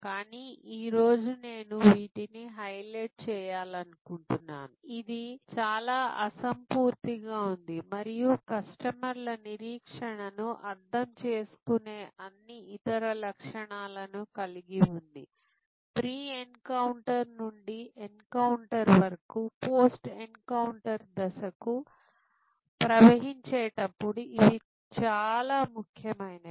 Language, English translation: Telugu, But, today I would like to highlight that in service which is highly intangible and has all those other characteristics understanding customer expectation as they flow from pre encounter to encounter to post encounter stage is very important